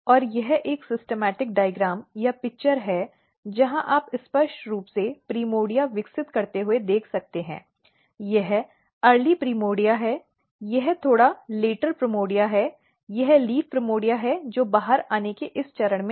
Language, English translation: Hindi, And this is the same schematic diagram or picture where you can clearly see developing primordia, this is early primordia, this is slightly later primordia this is the leaf primordia which is at this stage of coming out